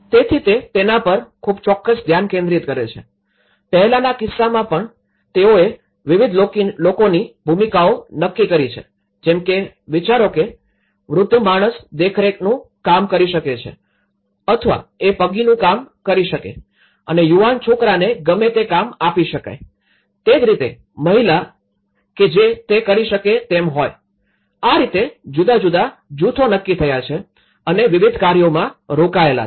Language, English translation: Gujarati, So, it has a very definite focus on it, in the earlier case, even they have designated the role of different actors like imagine, old man so, he can be acting as a supervision or he can act like a watchman and young boys they can become given a different tasks similarly, a female they can be doing, so in that way different groups have got designated, have been engaged in different aspects